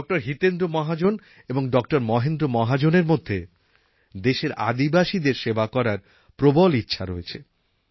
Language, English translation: Bengali, Mahendra Mahajan, both with a keen desire to help our tribal population